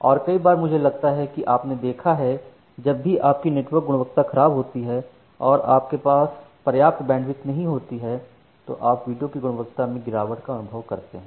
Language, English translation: Hindi, And, many of the time I think you have observed that whenever your network quality is poor you do not have sufficient bandwidth, you may observe for degradation of the video quality